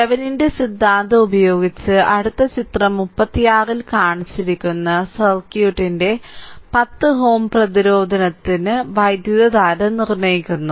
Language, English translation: Malayalam, Next using Thevenin’s theorem determine current through 10 ohm resistance right to 10 ohm resistance of the circuit shown in figure 36